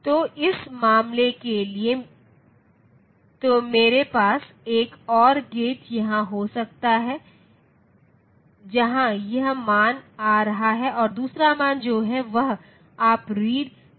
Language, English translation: Hindi, So, for that matter so I can have 1 and gate here where this value is coming and the other value that is there you say read